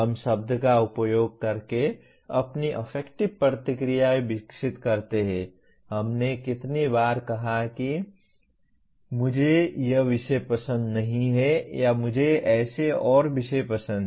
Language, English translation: Hindi, We develop our affective responses by using word, how many times we would have said I do not like this subject or I like such and such subject